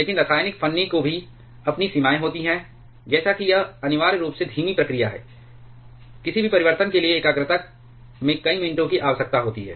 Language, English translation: Hindi, But chemical shim also has it is own limitations like it is essentially slow process, it for any change in concentration several minutes are required